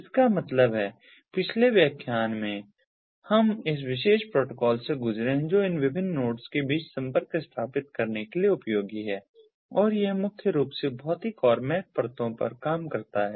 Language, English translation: Hindi, in the previous lecture we have gone through ah, this particular protocol which is useful for setting up ah connectivity, ah between the different nodes, and it primarily operates at the physical and the mac layers